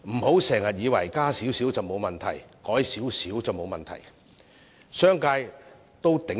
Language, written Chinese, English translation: Cantonese, 不要以為把最低工資提高少許沒有問題，商界可以承擔。, Do not ever think that raising the minimum wage by a small rate is not a problem for it is affordable to the business sector